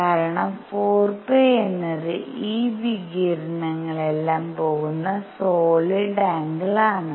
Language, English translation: Malayalam, Because 4 pi is the solid angle into which radiation all this is going